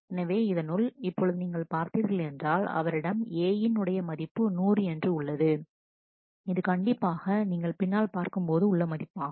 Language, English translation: Tamil, So, if you look into that, now you can see that he has A value which is 100; which certainly if you if you look back